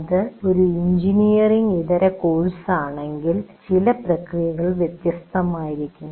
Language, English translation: Malayalam, If it is a non engineering course, some of these processes will be different